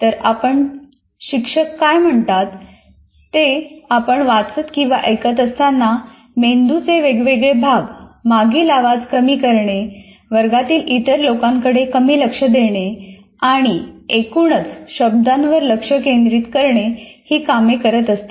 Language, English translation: Marathi, While you are reading or listening to what the teacher says, different parts of your brain are working to tune out background noises, pay less attention to other people in the room and overall keep you focused on the words